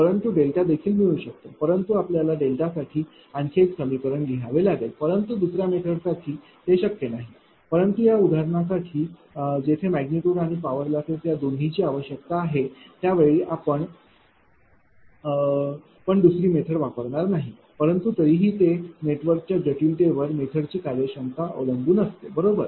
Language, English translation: Marathi, But delta can also be obtained, but that you have to write another equation for delta, but not obtained for the second method so, but for this example as far as magnitude is concern this is require I mean this is your what to call voltage magnitude and your power losses, right